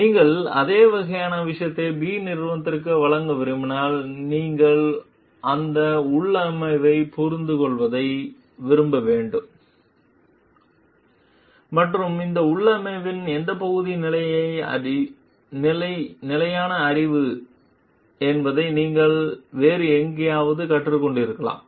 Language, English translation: Tamil, You, if you want to deliver then same kind of thing to company B, then you have to like decipher that configuration and find out like what part of that configuration is a standard knowledge which you may have learnt elsewhere